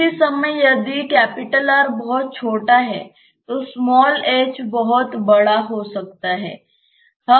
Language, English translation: Hindi, At the same time if R is very small, then this h can be very very large